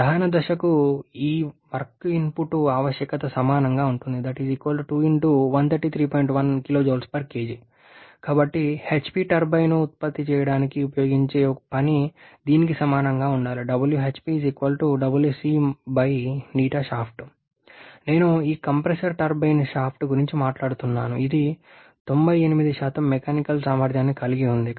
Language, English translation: Telugu, Therefore the work that the HP turbine used to produce should be equal to this compression work divided by efficiency of the corresponding shaft which is I am talking about this compressor turbine shaft which is having and mechanical efficiency of 98%